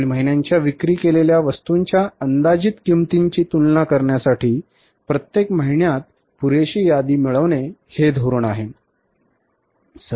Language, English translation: Marathi, The policy is to acquire enough inventory each month to equal the following months projected cost of goods sold